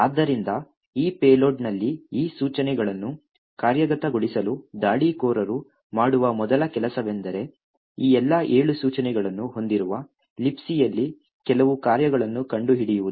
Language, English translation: Kannada, So, now the first thing the attacker would do in order to execute these instructions in the payload is to find some function in or the libc which has all of these 7 instructions in this order